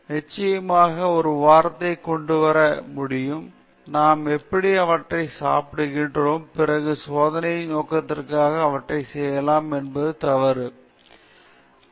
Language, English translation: Tamil, So, one can definitely come up with such an argument; we are anyway eating them, then what is wrong in using them for experimental purposes